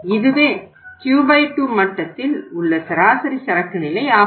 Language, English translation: Tamil, This is the average inventory at the Q by 2 level